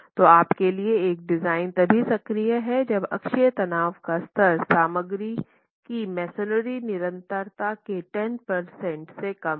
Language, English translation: Hindi, So, you are looking at a design for bending only if the axial stress level is less than 10% of the axial stress, of the compressive strength of the material masonry